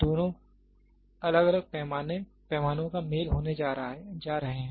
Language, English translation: Hindi, Both are going to be a combination of different scales